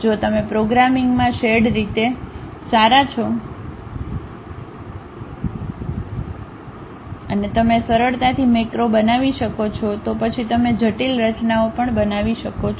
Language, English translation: Gujarati, If you are reasonably good with programming and you can easily construct macros then you can build even complicated structures